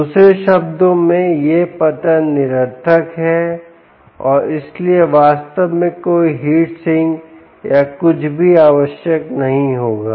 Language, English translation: Hindi, in other words, this drop is insignificant and therefore no heat sink or anything would actually be required